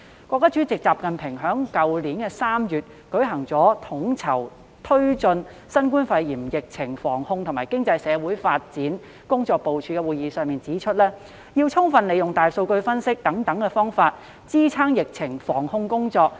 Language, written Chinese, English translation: Cantonese, 國家主席習近平在去年3月舉行的統籌推進新冠肺炎疫情防控和經濟社會發展工作部署會議上指出，要充分利用大數據分析等方法，支撐疫情防控工作。, At a meeting in March last year to advance the work on coordinating the prevention and control of COVID - 19 and economic and social development President XI Jinping highlighted the necessity to fully apply methods such as big data analytics to support the work of epidemic prevention and control